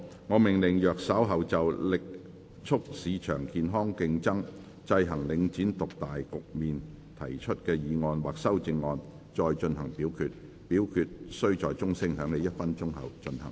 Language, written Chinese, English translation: Cantonese, 我命令若稍後就"力促市場健康競爭，制衡領展獨大局面"所提出的議案或修正案再進行點名表決，表決須在鐘聲響起1分鐘後進行。, I order that in the event of further divisions being claimed in respect of the motion on Vigorously promoting healthy market competition to counteract the market dominance of Link REIT or any amendments thereto the Council do proceed to each of such divisions immediately after the division bell has been rung for one minute